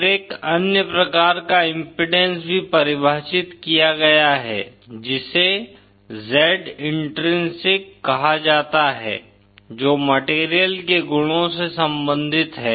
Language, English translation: Hindi, Then there is also another kind of impedance that is defined which is called Z intrinsic which is related to the properties of the material